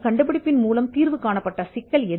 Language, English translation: Tamil, What was the problem that the invention solved